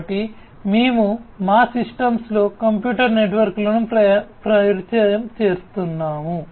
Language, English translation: Telugu, So, we are introducing computers networks into our systems